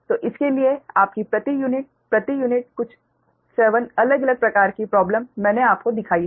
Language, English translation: Hindi, so for this, your per unit, ah per unit, some seven different type of problems